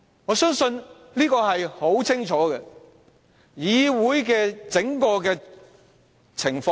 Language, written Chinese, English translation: Cantonese, 我所說的當然是當時的情況。, I am certainly referring to what happened back then